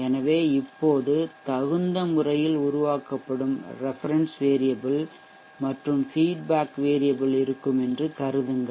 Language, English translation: Tamil, So right now consider that there will be a reference which will be generated appropriately and there will be a feedback variable